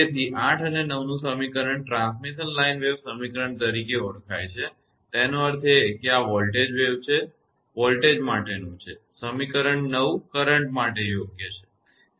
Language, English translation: Gujarati, So, equation 8 and 9 you known as transmission line wave equation; that means, this is the voltage, this is your for the voltage and this is for the equation 9 is for the currents right